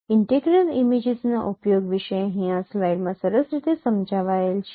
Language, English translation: Gujarati, About the use of integral images that is also explained nicely here in this slide